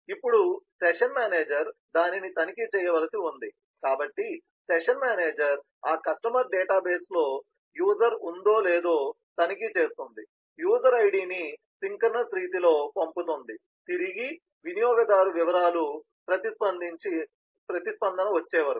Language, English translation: Telugu, now the session manager has to check that, so the session manager looks at that customer database to check if the user exist, so it does it, sends it, get user details, and sends the user id again in a synchronous manner till it gets a response of the user details